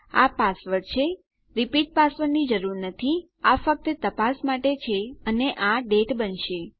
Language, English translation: Gujarati, This is password, no need to repeat password, that was just for check and this is going to be the date